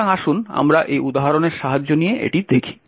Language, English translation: Bengali, So, let us look at this by taking the help of this particular example